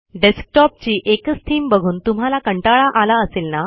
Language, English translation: Marathi, Arent you bored to see the same theme of desktop